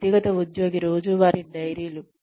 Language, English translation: Telugu, Individual employee daily diaries